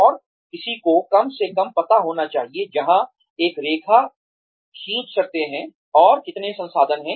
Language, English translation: Hindi, And, one should at least know, where one can draw the line, and how many resources, one has